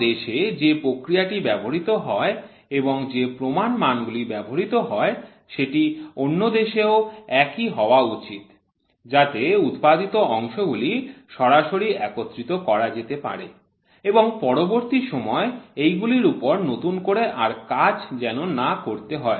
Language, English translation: Bengali, What is the process which is involved and what is the standard in one country should also be the same standard in the other country, so that the parts manufactured can directly get into assembly they need not undergo instruction once again